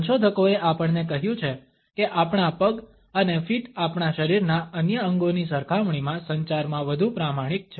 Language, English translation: Gujarati, Researchers have told us that our legs and feet are more honest in communication in comparison to other body parts of us